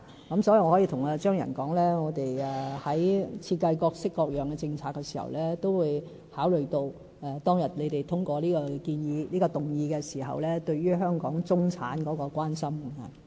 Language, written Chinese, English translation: Cantonese, 因此，我可以向張宇人議員說，我們在設計各式各樣的政策時，都會考慮當日你們通過這個議案時對於香港中產的關心。, I can tell Mr Tommy CHEUNG that in the formulation of policies in various areas the Government will consider Members concerns over the middle class as raised during the passage of the motion